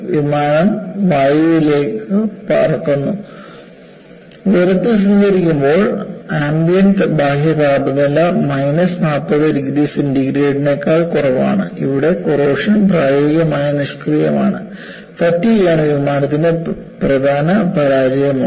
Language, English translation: Malayalam, Then the aircraft flies into the air and at cruising altitudes, the ambient external temperature is as low as minus 40 degree centigrade, where corrosion is practically inactive, fatigue is the failure mode for the major part of flight, it is a very nice example